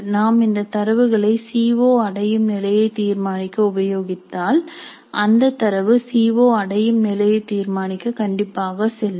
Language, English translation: Tamil, If we are using this data to determine the COO attainment levels, really this data must be valid for determining the CO attainment level